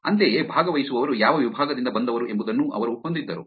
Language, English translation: Kannada, Similarly, they also had which department the participants came from